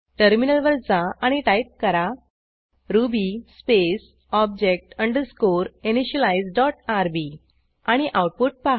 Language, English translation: Marathi, Switch to the terminal and type ruby space object underscore initialize dot rb and see the output